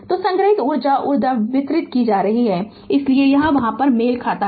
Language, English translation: Hindi, So, energy stored is equal to energy delivered so it is there matching right